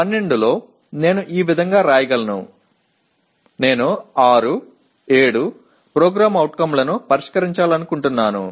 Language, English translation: Telugu, out of the 12, I can write in such a way, I just want to address 6, 7 POs in that